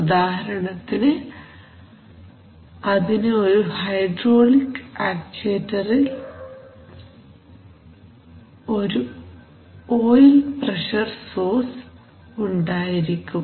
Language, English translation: Malayalam, So for example, the hydraulic actuator has an oil pressure source